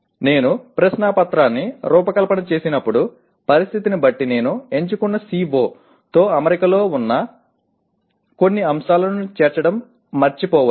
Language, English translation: Telugu, When I design a question paper, depending on the situation, I may forget to include some items at the, which are in alignment with the, my selected CO